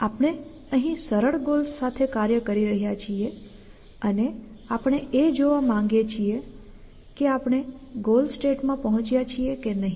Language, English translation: Gujarati, We are working its simple goals here and we want to see whether we have reach the state which is the goal or not